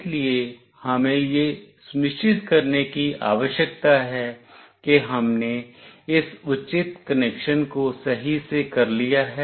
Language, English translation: Hindi, So, we need to make sure that we are done with this proper connection